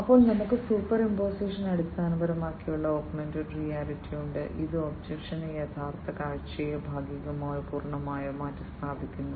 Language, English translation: Malayalam, Then we have the superimposition based augmented reality, which partially or, fully substitutes the original view of the object with the augmented view